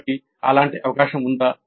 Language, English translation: Telugu, So is there such an opportunity given